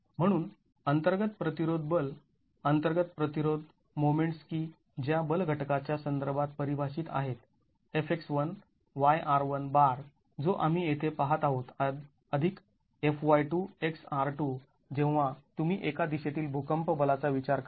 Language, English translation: Marathi, So, the internal resisting force, internal resisting moments that are defined with respect to the force component FX1 into YR1 bar that we looked at here plus FY2 into XR2 when you consider earthquake force in one direction